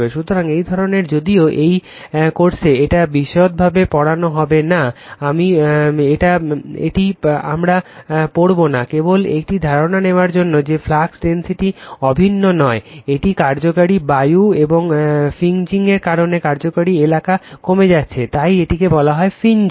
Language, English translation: Bengali, So, this type of although we will not study in detail for this course, we will not study this, just to give an idea that flux density is not uniform right, an effective air because of this fringe effective your area is getting decrease right, so, this is called fringing